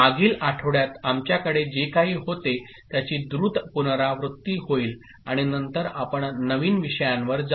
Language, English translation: Marathi, And we shall have a quick recap of what we had in the previous week and then we shall go in to the new topics